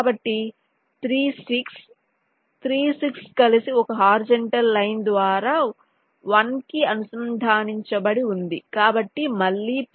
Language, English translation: Telugu, so three, six, three, six together is connected to one by a horizontal line